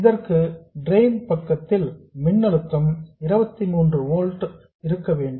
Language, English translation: Tamil, For this, the voltage source on the drain side must be 23 volts